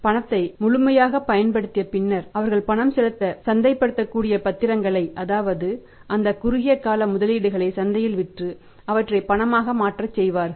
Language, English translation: Tamil, Once thee cash is fully utilise still they have to have to make payments then they will go for the marketable securities that they will sell of the short term investments in the market and convert them into cash